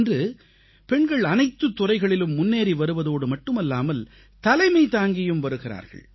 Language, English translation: Tamil, Today women are not just advancing in myriad fields; they are leaders